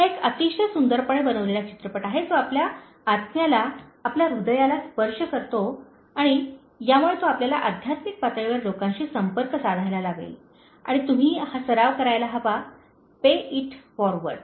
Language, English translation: Marathi, It is a very beautifully made movie, it touches your soul, your heart and it will make you connect to people at a spiritual level and you should start practicing this “Pay It Forward